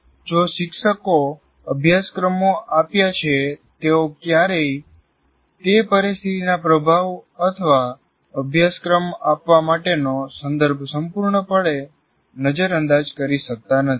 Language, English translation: Gujarati, So the teachers who offer courses cannot completely overcome the influence of the situation or the context to conduct the course